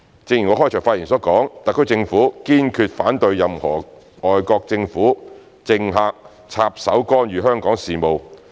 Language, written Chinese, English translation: Cantonese, 正如我開場發言所說，特區政府堅決反對任何外國政府、政客插手干預香港事務。, As I have said in my opening remarks the SAR Government firmly opposes any foreign governments or politicians meddling in Hong Kongs affairs